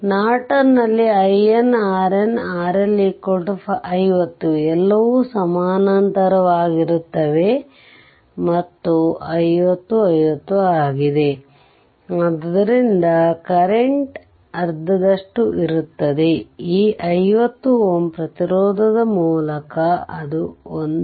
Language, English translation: Kannada, If we say it is R L is equal to 50 ohm say all are in parallel, and it is 50 50, so current will be half half, so that means, through this 50 ohm resistance, it will be 1